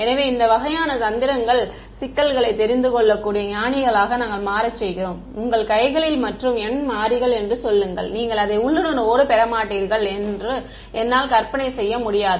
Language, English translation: Tamil, So, these kinds of tricks we do to make the problems more visualizable other wise you know you will just throw up your hands and say n variables, I cannot visualize it you will not getting intuition